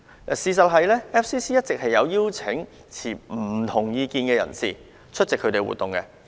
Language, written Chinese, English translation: Cantonese, 事實上，外國記者會以往一直有邀請持不同意見的人士出席活動。, In fact in the past FCC has always invited people with different views to attend its activities